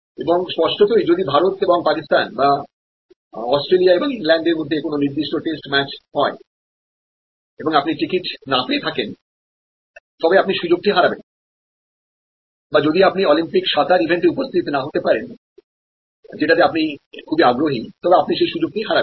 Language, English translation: Bengali, And obviously, if a particular test match happen between India and Pakistan or Australia and England and you could not get a ticket then you loss the opportunity or if you are not present during the Olympics event of swimming which you are interested in, you loss the opportunity